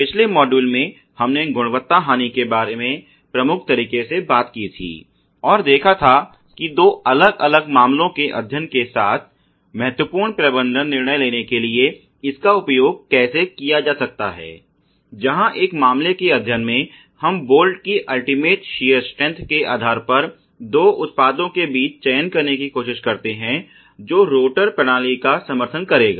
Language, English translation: Hindi, In the last module we had talked in major way about quality loss and how that could be used to take important management decision with two different case studies; where in one case study we try to select between two products based on the ultimate shear strength of bolt which would otherwise support a rotor system